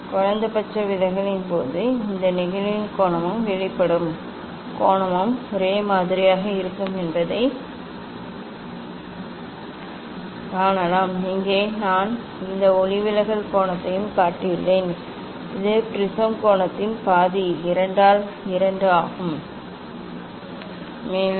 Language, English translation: Tamil, And in case of minimum deviation one can also see that angle of this incidence and angle of emergence will be same, here I have shown this angle of refraction here theta, that is half of the prism angle A by 2